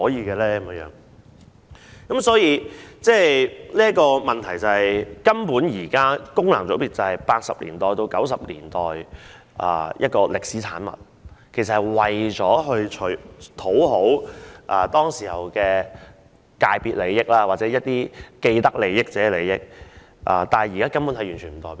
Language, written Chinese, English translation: Cantonese, 現在的問題是，功能界別根本是1980年代到1990年代的歷史產物，為討好當時的既得利益者而設，但現時根本沒有代表性。, The problem is that FC is a historic product of the 1980s and 1990s . FCs were established to appease people with vested interests at that time but now FCs have no representativeness whatsoever